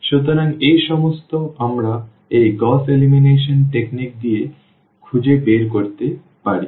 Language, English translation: Bengali, So, all these we can figure it out with this Gauss elimination technique